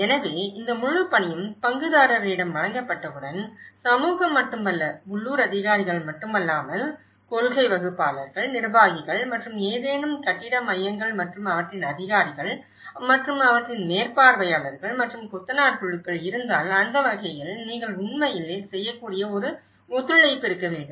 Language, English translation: Tamil, So, once this whole task has been presented with the stakeholder, not only the community but the local authorities but the policymakers but the administrators and as well as if there is any building centres and their authorities and their supervisors and the mason groups so, in that way, there should be a collaboration you can actually and you can have to orient them for that kind of collaboration